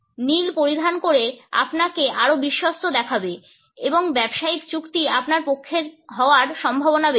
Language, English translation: Bengali, By wearing blue you have seen more trustworthy and the business deal is more likely to turn out in your favor